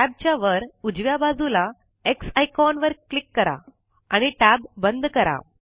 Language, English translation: Marathi, Lets close this tab, by clicking on the X icon, at the top right of the tab